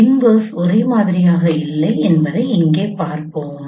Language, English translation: Tamil, We will see here the reverse is not the same